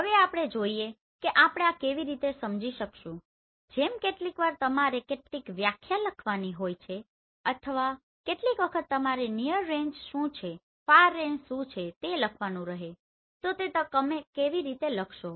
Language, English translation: Gujarati, Now let us see how we can explain this like sometimes you have to write some definition or sometimes you have to write what do you mean by near range, far range then how will you write